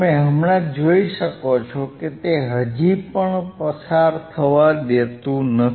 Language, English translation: Gujarati, You can see now, still it is still not allowing to pass